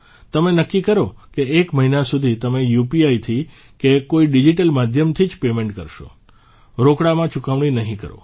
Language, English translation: Gujarati, Decide for yourself that for one month you will make payments only through UPI or any digital medium and not through cash